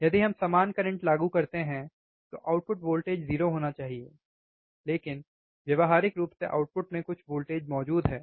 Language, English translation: Hindi, If we apply equal current, output voltage should be 0, but practically there exists some voltage at the output